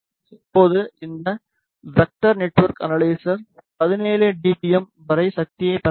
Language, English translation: Tamil, Now, this vector network analyzer can receive the power up to 17 dBm